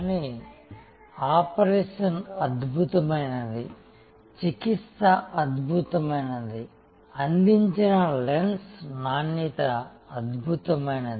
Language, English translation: Telugu, But, the operation was excellent, the treatment was excellent, the quality of lens provided was excellent